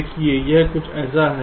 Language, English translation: Hindi, see, it is something like this